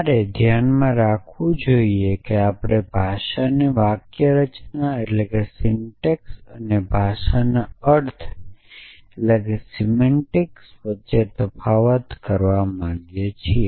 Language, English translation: Gujarati, So, you must keep in mind that we want to distinguish between the syntax of the language and the semantics of the language and do you not do you